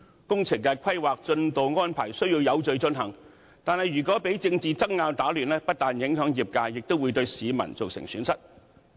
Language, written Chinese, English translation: Cantonese, 工程的規劃、進度安排需要有序進行，但如果被政治爭拗打亂，不但影響業界，也會對市民造成損失。, The planning and progress of works need to be carried out in an orderly manner and if there is any disruption as a result of political disputes it will not only affect the engineering sector but the public will also suffer losses